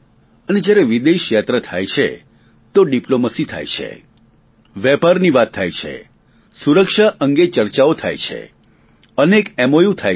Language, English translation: Gujarati, During a foreign visit, diplomacy is practiced, there are trade deliberations, discussions about security and as is customary, many MoUs are concluded